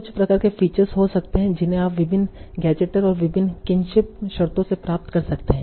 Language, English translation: Hindi, Then there can be some sort of features that you can obtain from various gadgetiers and different terms, kinship terms